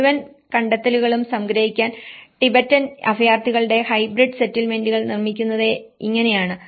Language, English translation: Malayalam, And to summarize the whole findings, this is how hybrid settlements of Tibetan refugees are produced